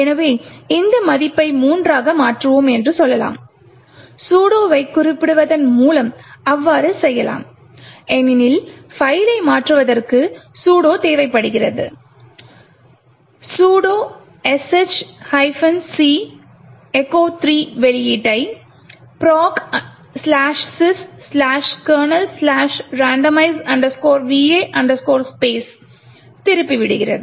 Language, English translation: Tamil, So let us say that we actually change this value to 3, we can do so by specifying sudo because changing the file requires sudo, sudo sh minus c echo 3 and this you redirect the output into slash proc sys kernel slash randomize VA underscore space, so we need the password which is which are 1, 2, 3